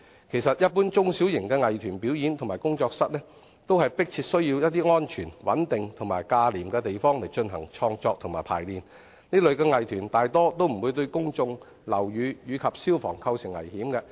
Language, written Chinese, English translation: Cantonese, 其實，一般中小型藝團表演或工作室，都迫切需要安全、穩定及價廉的地方進行創作和排練，這類藝團大多數不會對公眾、樓宇及消防構成危險。, In fact general small and medium - sized arts troupes and workshops earnestly need some safe stable and inexpensive places for their creative work and rehearsals and most of these arts troupes will not pose hazards to the public the buildings and fire safety